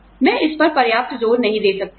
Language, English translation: Hindi, I cannot stress on this enough